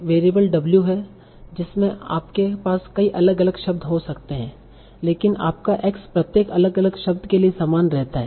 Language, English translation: Hindi, You can have multiple different words, but your x remains the same for each individual word